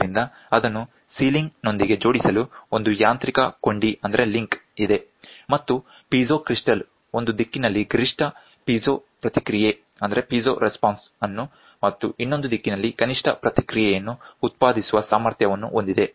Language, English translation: Kannada, So, there is a mechanical link to attach it with the sealing and it the piezo crystal is capable of producing the maximum piezo response in one direction and minimum response in the other direction